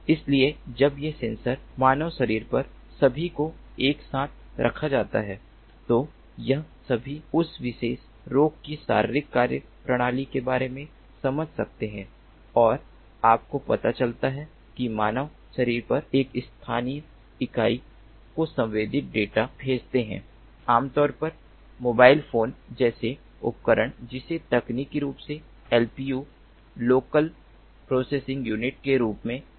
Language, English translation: Hindi, so when these sensors are all put together on the human body, they can all sense about that [physic/physiological] physiological functioning of that particular patient and sends, you know, send that sensed data to a local unit on the human body, typically mobile phone kind of device, which is technically known as the lpu, the local processing unit